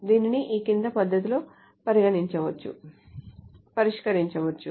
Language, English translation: Telugu, This can be solved in the following manner